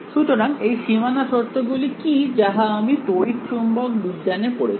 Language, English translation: Bengali, So, what are the boundary conditions that we have studied in the electromagnetic